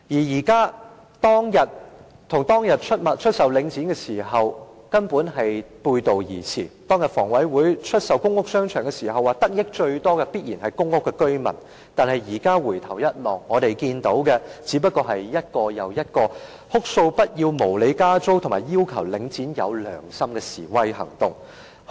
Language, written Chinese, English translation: Cantonese, 現在的情況與當日出售領匯的原意背道而馳，當日房委會出售公屋商場時表示，得益最多的必然是公屋居民，但現在回首，我們看見的是一個又一個哭訴不要無理加租，以及要求領展要有良心的示威行動。, The present situation runs counter to the original intent of selling The Link REIT . Back then when HA sold the public housing shopping arcades it stated that public housing residents would certainly be benefited the most but now in retrospect we have seen protests take place one after another with outcries against unreasonable increases in rents and demands for Link REIT to act conscientiously